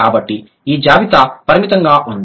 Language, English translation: Telugu, So, this is this list is limited